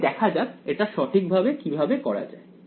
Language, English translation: Bengali, So, let us see how to do this correctly alright